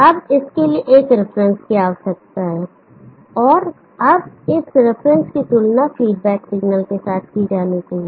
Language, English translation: Hindi, Now there needs to be a reference, now this reference has to be compared with the feedback signal